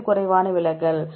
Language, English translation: Tamil, Which one has less deviation